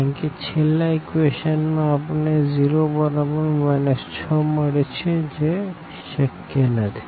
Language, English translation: Gujarati, Because from the last equation we are getting 0 is equal to minus 6